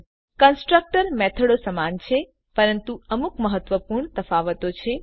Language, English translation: Gujarati, Constructors are also similar to methods but there are some important differences